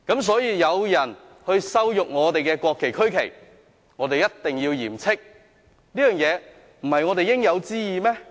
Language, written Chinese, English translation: Cantonese, 所以，當有人羞辱我們的國旗和區旗，我們一定要嚴斥，這不是我們應有之義嗎？, Therefore when someone insults our national and regional flags we must severely reprimand him . Is this not our due responsibility?